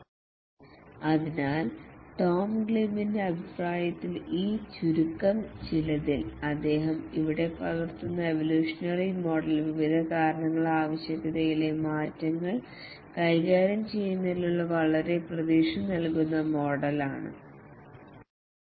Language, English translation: Malayalam, So, according to Tom Gleib, the evolutionary model which he captures here in this view lines is a very promising model to handle changes to the requirement due to various reasons